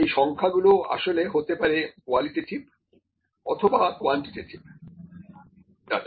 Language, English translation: Bengali, The numbers or maybe actually the two types of data qualitative and quantitative data